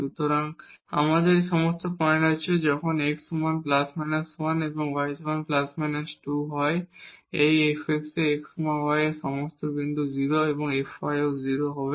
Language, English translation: Bengali, So, we have all these points when x is equal to plus or minus 1 and y is equal to plus and minus 2 these f x at x y all these points this is 0 and f y is also 0